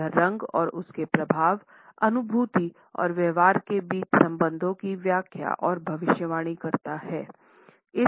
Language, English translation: Hindi, That explains and predicts relations between color and its effect, cognition and behavior